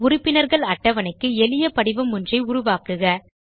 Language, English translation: Tamil, Create a simple form for the Members table